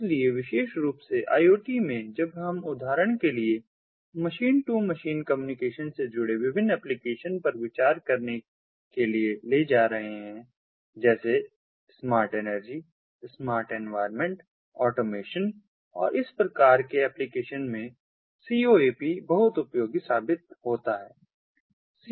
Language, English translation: Hindi, so in iot, particularly when we taking to consideration ah, the different applications involving machine to machine communication, for example, smart energy, smart environment, you know, building automation and this kind of applications, coap comes out to be very much useful ah